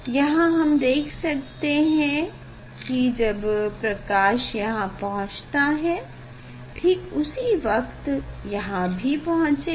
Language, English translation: Hindi, here we can see that these when light is reaching here, and you can